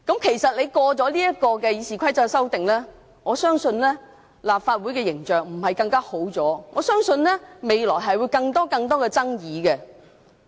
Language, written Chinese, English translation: Cantonese, 其實，通過今次《議事規則》的修訂後，我相信立法會的形象不會改善，我相信未來只會不斷出現更多的爭議。, In fact I believe the image of the Legislative Council will not be improved after the amendment of RoP and only more disputes will arise in the future